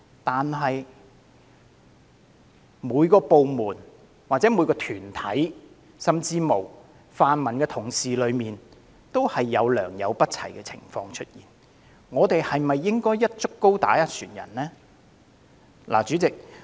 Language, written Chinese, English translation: Cantonese, 然而，每個部門、團體甚或泛民同事當中，均有良莠不齊的情況，我們是否應該"一竹篙打一船人"呢？, However every barrel has its bad apples . This same thing happens in every department and group or even the pan - democratic camp . Is it right to paint all policemen with a single brush?